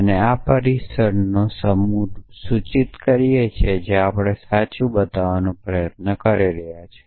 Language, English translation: Gujarati, So, this is the set of premises implies the conclusion is what we are trying to show to be true